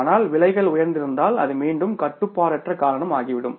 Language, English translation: Tamil, But if the prices have gone up is again the uncontrollable reason